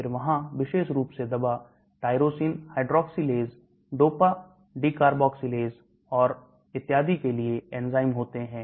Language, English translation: Hindi, Then there are enzymes for particular drug tyrosine hydroxylase, dopa decarboxylase and so on actually